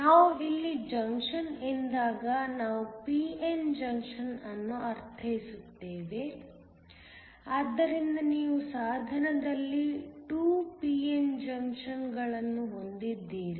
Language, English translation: Kannada, When we mean a junction here we mean a p n junction, so that you have 2 p n junctions in the device